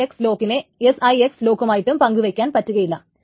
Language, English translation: Malayalam, So then 6 lock cannot be shared with S as well